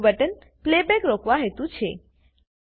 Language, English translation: Gujarati, The second button is to Stop the playback